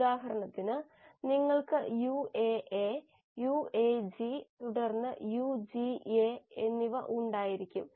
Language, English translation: Malayalam, For example you will have UAA, UAG and then UGA